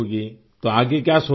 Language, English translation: Urdu, What are you thinking of next